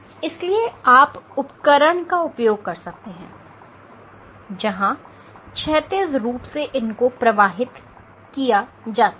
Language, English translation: Hindi, So, you can use these devices where you flow them horizontally through these devices